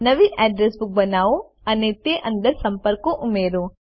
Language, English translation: Gujarati, Create a new Address Book and add contacts to it